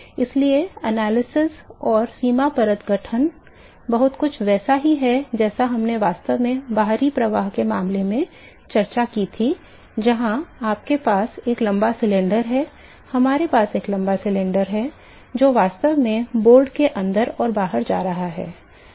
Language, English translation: Hindi, So, the analysis and the boundary layer formation is very similar to what we actually discussed in the external flows case where we have a long cylinder, we have a long cylinder which is actually going inside and outside the board and